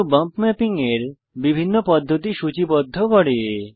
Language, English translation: Bengali, This menu lists the different methods of bump mapping